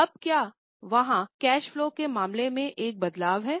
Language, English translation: Hindi, Now is there a change here in case of cash flow